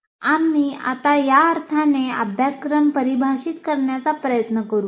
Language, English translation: Marathi, So we will now try to define syllabus in this sense